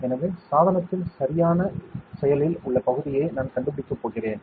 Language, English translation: Tamil, So, I am going to find out the exact active area of the device